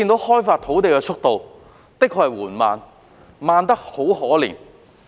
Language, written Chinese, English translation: Cantonese, 開發土地的速度，真的是緩慢得可憐。, Land is being developed at a pathetically slow pace